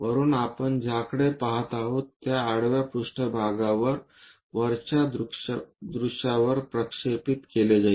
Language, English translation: Marathi, From top whatever we are going to look at that will be projected on to top view, on the horizontal plane